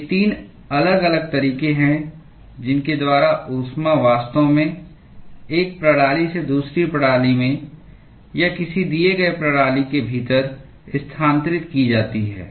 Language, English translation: Hindi, These are the 3 different modes by which heat is actually transferred from one system to the other system or within a given system